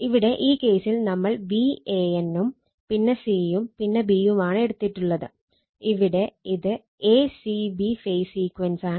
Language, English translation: Malayalam, In this case in this case, we have taken say V a n, then c, and then b, if this is phase a c b sequence